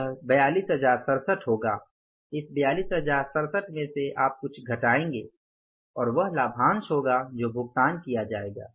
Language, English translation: Hindi, From this 42,067 you will subtract something and that something is the dividend which will be paid